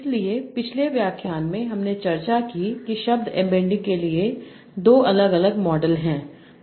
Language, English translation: Hindi, So in the last lecture we discussed that there are two different models for word emitting